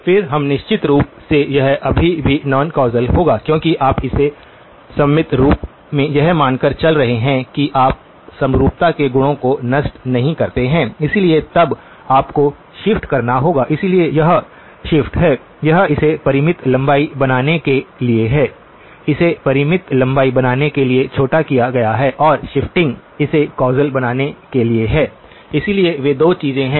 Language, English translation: Hindi, Then we of course, it will still be non causal because it you are truncate it symmetrically assuming that you do not to destroy the symmetry properties, so then you have to shift, so the shift is; this is to make it finite length, truncate to make it finite length and the shifting is to make it causal okay, so those are the 2 things